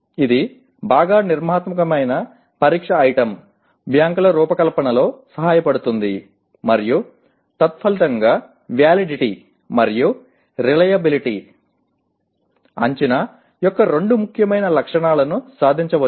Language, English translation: Telugu, It can help in the design of well structured test item banks and consequently the validity and reliability, two important properties of assessment can be achieved